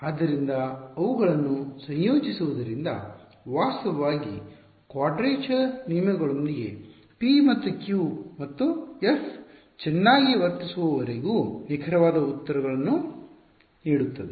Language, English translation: Kannada, So, integrating them will in fact, give with quadrature rules will give exact answers as long as p and q and f are well behaved also ok